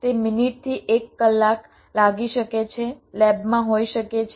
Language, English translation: Gujarati, it can take minutes to an hour may be in the lab